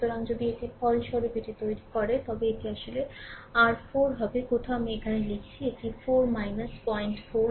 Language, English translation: Bengali, So, if you make it resultant of it, it will be actually your 4 somewhere I am writing here it is 4 minus 0